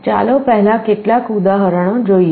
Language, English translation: Gujarati, First let us look at some examples